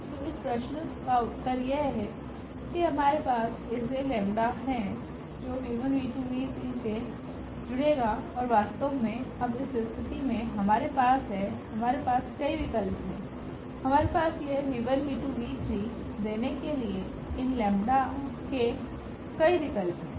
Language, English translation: Hindi, So, the question is the answer to this question is that we do have such lambdas which will add up to this v 1 v 2 v 3 and indeed now in this case we have ; we have many choices; we have many choices for these lambdas to give this v 1 v 1 v 1